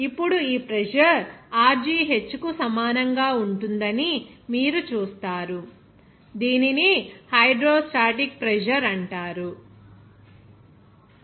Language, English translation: Telugu, Now, this pressure you will see that will be equal to Rho gh, it is called hydrostatic pressure